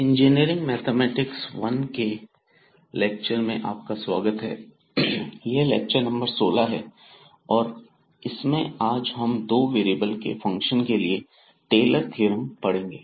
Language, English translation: Hindi, So welcome back to the lectures on Engineering Mathematics I and today this is lecture number 16 and we will learn the Taylor’s Theorem for Functions of Two Variables